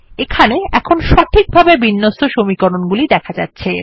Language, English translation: Bengali, So there is a perfectly aligned set of equations